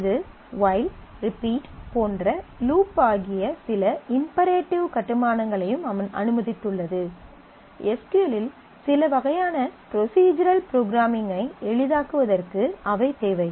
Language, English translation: Tamil, It also has allowed certain imperative constructs like case like loop like while, repeat those kind of to make certain kind of procedural programming easier in SQL